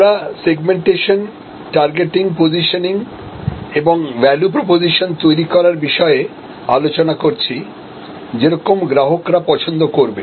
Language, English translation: Bengali, And we are discussing about positioning, segmentation targeting and positioning and creating a value proposition, which customers will love